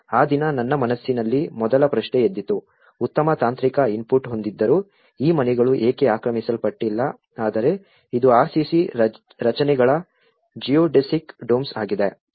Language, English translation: Kannada, The first question in my mind rose on that day, why these houses were not occupied despite of having a very good technical input but is RCC structures Geodesic Domes